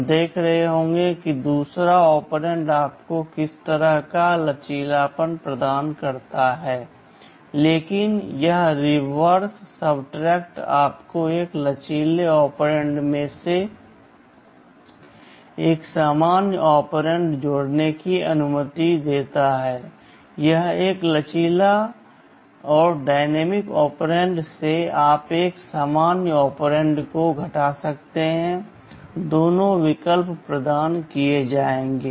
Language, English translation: Hindi, We shall be seeing what kind of flexibility the second operand provides you, but this reverse subtract allows you to add a normal operand from a flexible operand, or from a flexible operand you can subtract a normal operand, both options are provided